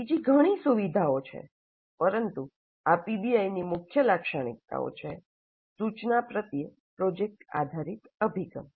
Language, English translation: Gujarati, There are many other features but these are the key features of PBI, project based approach to instruction